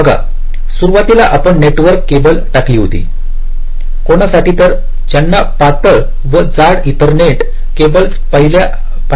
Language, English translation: Marathi, see earlier when you laid out the network cables for those of you who have seen those thin and thick ethernet cables